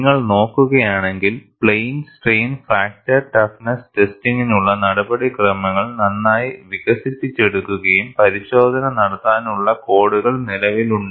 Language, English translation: Malayalam, And if you look at, the procedure for plane strain fracture toughness testing is well developed and codes exist to conduct the test